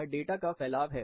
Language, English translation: Hindi, This is how the distribution of data is